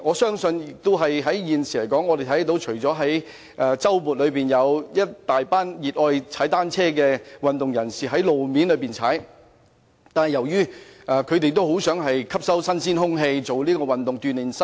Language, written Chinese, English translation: Cantonese, 目前，我們看到在周末有一大群熱愛踏單車的運動人士在路面踏單車，而他們其實也很想呼吸新鮮空氣，透過運動鍛鍊身體。, At present we can see swarms of cycling enthusiasts cycle on roads during weekends and these sportsmen are actually longing for fresh air and physical well - being through workouts